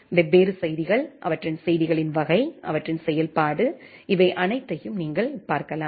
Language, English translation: Tamil, You can look into the different messages, their messages type, their functionality, all these thing